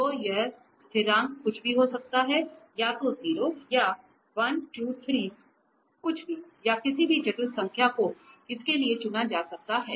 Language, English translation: Hindi, So, this constant can be anything either one can choose 0 or 1, 2, 3 anything or any complex number can be chosen for this v